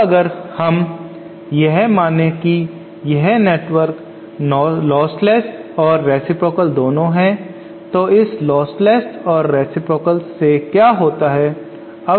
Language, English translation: Hindi, Now if we if we consider that this network is both lostless and reciprocal then what happens, so lostless and reciprocal